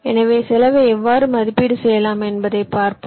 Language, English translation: Tamil, so let us see how we can evaluate the cost